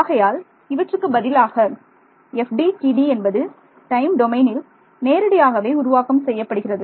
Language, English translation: Tamil, So, instead this FDTD is directly formulated in the time domain ok